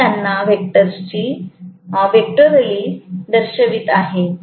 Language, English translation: Marathi, I am showing them a vectorially